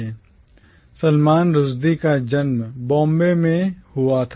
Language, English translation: Hindi, Salman Rushdie was born in Bombay